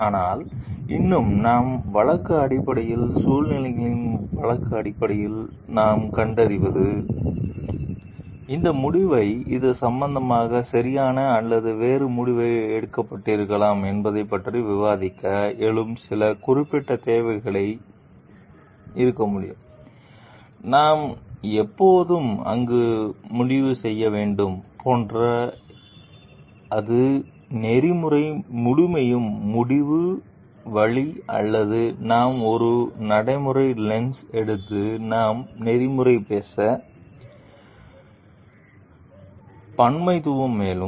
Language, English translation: Tamil, But still that we find like based on situations case to case basis, there could be some specific needs arising to discuss about whether, like this decision is correct in this regard or a different decision could have been taken, like do we always decide where the way that it is decided in ethical absolutism or we take a pragmatic lens and we talk of ethical plularism also